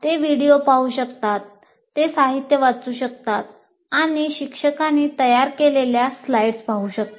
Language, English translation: Marathi, They can look at videos, they can read the material or they can look at the slides prepared by the teacher, all that can happen